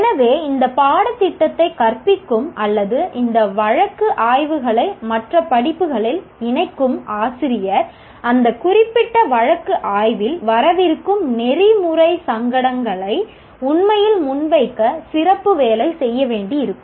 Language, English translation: Tamil, So the teacher who teaches either this course or incorporates these case studies into other courses will have to do special work to really present the ethical dilemmas that would come in that particular case study